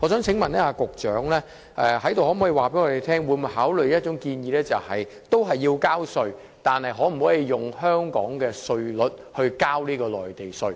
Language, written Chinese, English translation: Cantonese, 請問局長可否在此告訴我們會否考慮一項建議，就是這些人士仍然要繳稅，但可否以香港稅率繳付內地稅？, Could the Secretary tell us here whether he will consider the following suggestion these people still have to pay the Mainland tax but can they pay it at the tax rate in Hong Kong?